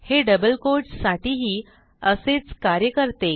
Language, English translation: Marathi, It works in similar fashion with double quotes also